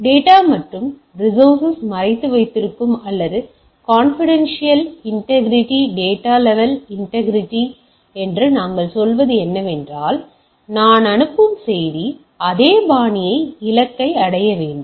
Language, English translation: Tamil, So, confidentiality keeping the data and resources hidden or confidential integrity, what we say that data level integrity is that the message what I am sending should be reaching to the destination the same fashion